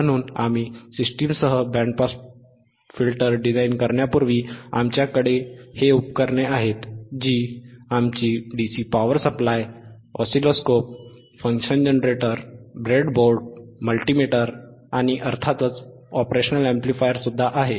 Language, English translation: Marathi, So, before we design the band pass filter with the system that we have with the equipment that we have here, which is our dcDC power supply, we have our oscilloscope, function generator, breadboard, multimeter and of course, the operational amplifier